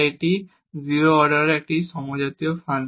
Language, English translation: Bengali, So, this is a homogeneous function of order 0